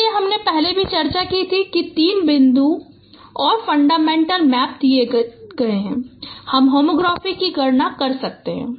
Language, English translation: Hindi, So, we discussed earlier also that given three points and fundamental matrix you can compute the homography